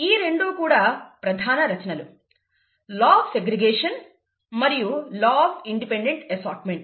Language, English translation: Telugu, These two are supposed to be major contributions; the ‘law of segregation’ and the ‘law of independent assortment’